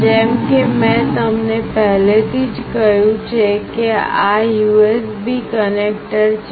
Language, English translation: Gujarati, As I have already told you that this is the USB connector